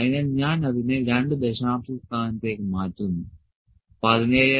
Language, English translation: Malayalam, So, let me convert it into 2 decimal places 17